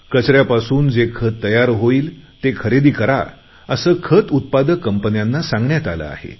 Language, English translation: Marathi, Fertilizer companies have been asked to buy the Compost made out of waste